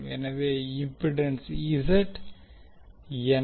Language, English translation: Tamil, So what is the impedance Z